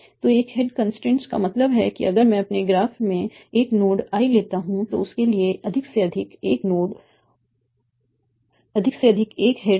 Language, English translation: Hindi, So single head constraint means that if I take a node I in my graph, they can be at most one head for that